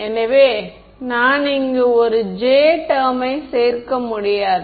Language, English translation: Tamil, So, I cannot include a J term over here